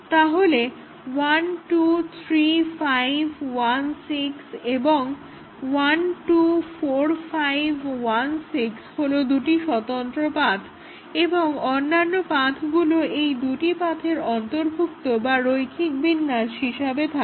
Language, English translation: Bengali, So, 1, 2, 3, 5, 1, 6 and 1, 2, 4, 5, 1, 6, so these are two independent paths and any other paths are subsumed or linear combination of the paths of those two